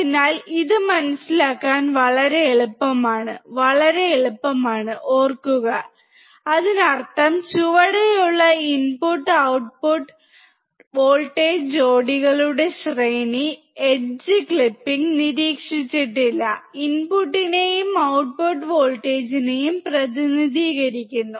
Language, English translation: Malayalam, So, it is so easy to understand, so easy to remember; that means, that the range of input and output voltage pairs below, the edge clipping is not observed represents the input and output voltage